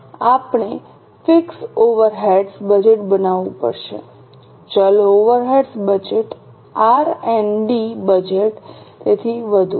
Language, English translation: Gujarati, We have to make fixed overheads budget, variable overheads budget, R&D budget and so on